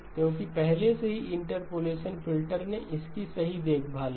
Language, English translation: Hindi, Because already the interpolation filter took care of it right